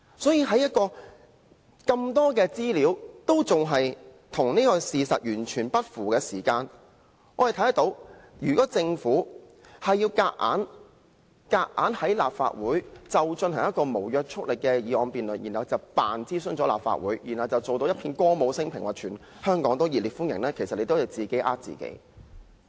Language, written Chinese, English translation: Cantonese, 所以，在有這麼多資料與事實完全不符的時候，如果政府硬要在立法會進行一項無約束力的議案辯論，接着裝作已諮詢了立法會，然後展現一片歌舞昇平的景象，聲稱香港熱烈歡迎"一地兩檢"安排，其實是自己欺騙自己。, Hence when so much information given do not correlate with the facts if the Government bulldozes this non - legally binding motion through the Legislative Council pretending that it has consulted the Legislative Council and then puts on a false show of blissful euphoria claiming that Hong Kong warmly welcomes the co - location arrangement it is deceiving itself indeed